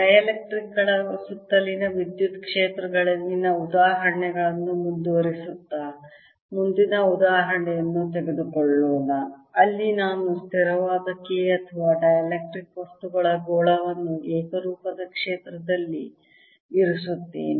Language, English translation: Kannada, continuing the examples on electric fields around dielectrics, let's take next example where i put a sphere of dielectric material of constant k or susceptibility chi, e in a uniform field and now i ask what will happen